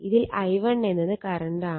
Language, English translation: Malayalam, So, i1 minus i 2 right